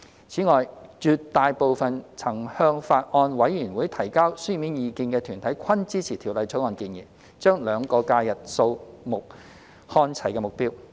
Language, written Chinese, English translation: Cantonese, 此外，絕大部分曾向法案委員會提交書面意見的團體均支持《條例草案》建議將兩個假日日數看齊的目標。, Besides the vast majority of organizations which have submitted written views to the Bills Committee also supported the objective of aligning the number of SHs with GHs proposed in the Bill